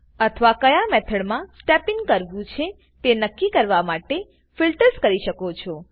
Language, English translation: Gujarati, Or have filters to decide on which methods you would want to step in